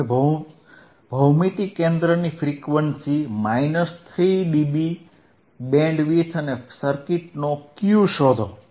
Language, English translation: Gujarati, Now, find the geometric center frequency, minus 3dB bandwidth and Q of the circuit